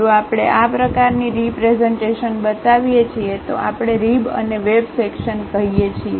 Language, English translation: Gujarati, If we show such kind of representation, we call rib and web section